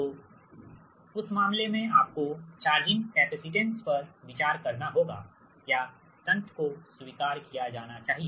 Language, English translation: Hindi, so in that case you have to consider the charging capacitance or shunt admitted is this thing you are, admitted, you have to consider